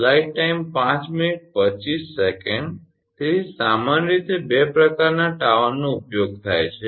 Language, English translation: Gujarati, So, generally two types of towers are used